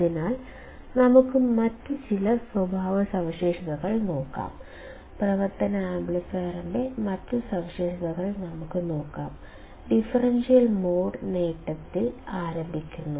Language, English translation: Malayalam, So, let us see some other characteristics; let us see other characteristics of operational amplifier; starting with differential mode gain